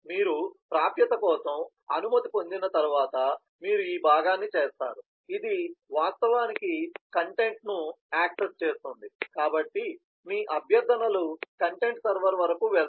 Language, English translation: Telugu, and once you have permission for access, then you do this part, which is actually accessing the content, so your requests are going till upto the content server